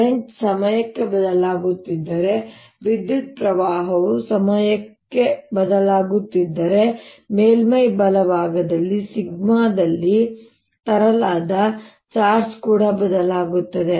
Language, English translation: Kannada, the other way, if the current is changing in time, if a current is changing in time, then the charge that is brought in the sigma on the surface right will also change